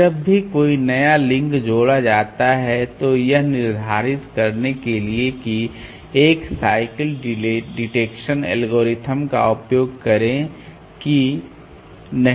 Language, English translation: Hindi, Every time a new link is added use a cycle detection algorithm to determine whether it is okay or not